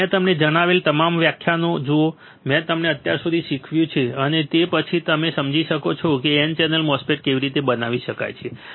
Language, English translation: Gujarati, So, look at all the lectures that I had told I have taught you until now, and then and then only you will be able to understand how the N channel MOSFET can be fabricated